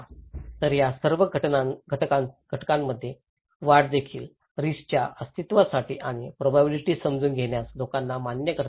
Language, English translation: Marathi, So, these all factors also increases can make it people acceptable to the existence of the risk and understanding the probabilities